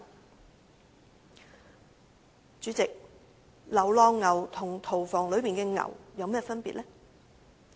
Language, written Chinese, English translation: Cantonese, 代理主席，流浪牛和屠房內的牛有何分別呢？, Deputy President is there any difference between stray cattle and cattle in the slaughterhouses?